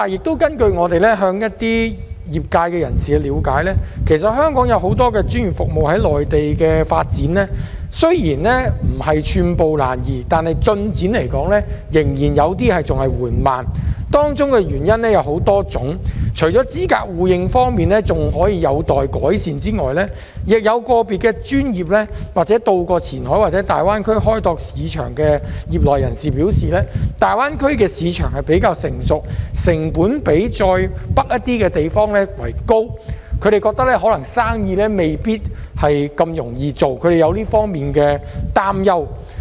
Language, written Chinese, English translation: Cantonese, 但是，根據我們向一些專業服務業界人士了解，其實香港有很多專業服務在內地的發展，雖然不是寸步難移，但進展仍然有些緩慢，當中的原因有很多種，除了資格互認方面還有待改善之外，有個別的專業服務業界人士，以及到過前海或大灣區開拓市場的人士均表示，大灣區的市場比較成熟，成本較再北上的一些地方為高，他們認為生意可能未必那麼容易做，他們對此有所擔憂。, That said as learnt from some members of the professional services industry a number of professional services of Hong Kong has actually been developing rather slowly in the Mainland despite some progress . This is due to various reasons in addition to the issue of mutual recognition of qualifications which still requires improvement . According to individual members of the professional services industry and those who have been to Qianhai or the Greater Bay Area to tap into the local markets the Greater Bay Area is a relatively sophisticated market where the costs required are higher than those of some places further in the north